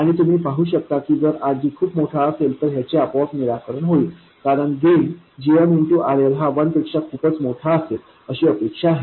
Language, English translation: Marathi, And you can see that this is also automatically satisfied if RG is very large because we expect the gain GMRL to be much more than 1